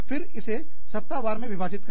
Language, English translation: Hindi, Then, break it into week wise